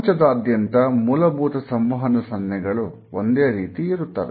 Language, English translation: Kannada, Most of a basic communication signals are the same all over the world